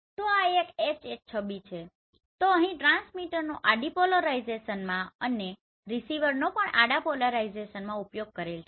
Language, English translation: Gujarati, So this is one HH image so here the transmitter has used horizontal polarization and receiver in horizontal polarization